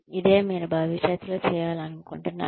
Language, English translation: Telugu, This is what, I would like you to do in future